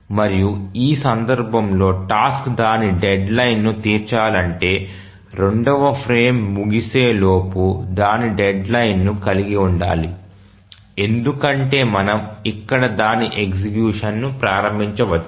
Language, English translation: Telugu, And in this case for the task to meet its deadline we must have its deadline before the end of the second frame because we may at most start its execution here